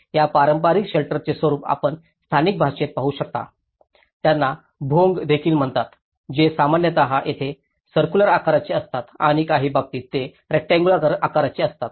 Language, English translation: Marathi, Whereas, you can see these traditional shelter forms in local language they call also the Bhongas which is normally there in circular shape and in some cases they are in a kind of rectangular shape